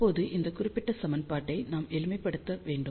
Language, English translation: Tamil, So, now, we have to simplify this particular equation